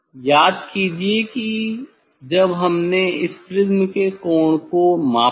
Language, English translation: Hindi, Recall that when we measured this angle of prism